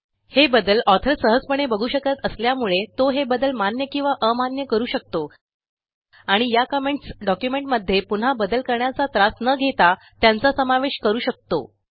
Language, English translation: Marathi, This can be easily seen by the author who can accept or reject these changes and thus incorporate these edit comments without the effort of making the changes once again